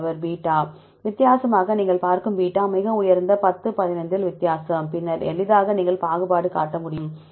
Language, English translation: Tamil, Beta see you for the different is significant very high 10 15 difference then easily you can discriminate